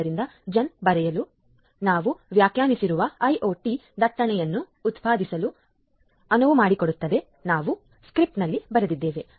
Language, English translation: Kannada, So, after writing gen so, it means it is enabling to generate the IoT traffic which we have defined at the we have written in the script